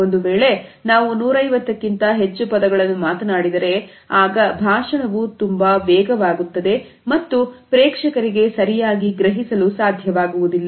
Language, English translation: Kannada, We speak more words than this then the speech would become too fast and the audience would not be able to comprehend properly